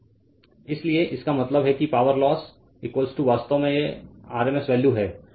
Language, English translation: Hindi, So; that means, power loss is equal to actually this is rms value